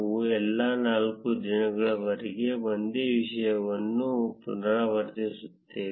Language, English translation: Kannada, We will repeat the same thing for all the four days